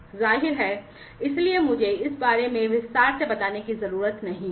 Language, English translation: Hindi, Obviously, so I do not need to elaborate on this